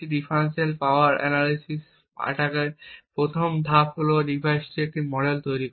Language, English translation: Bengali, So, as we discussed the first step in a differential power analysis attack is to create a model of the device